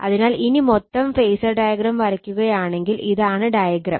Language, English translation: Malayalam, So, if you if you draw the complete phasor diagram , right, if you draw the complete phasor diagram so, this is the diagram